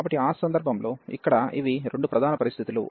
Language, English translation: Telugu, So, in that case so these are the two main conditions here